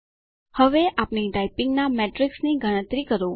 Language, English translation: Gujarati, Now let us collect the metrics of our typing